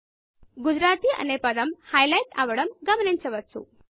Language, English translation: Telugu, You will observe that the word Gujarati on the page gets highlighted